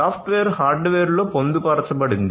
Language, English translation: Telugu, So, the software is embedded in the hardware